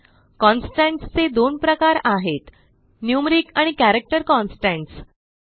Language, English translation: Marathi, There are two types of constants , Numeric constants and Character constants